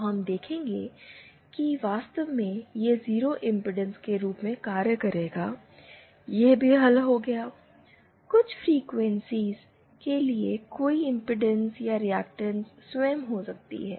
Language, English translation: Hindi, So, we see that, and in fact it will act as 0 impedance, that also solved, there might be no impedance or reactance itself might be 0 for certain frequencies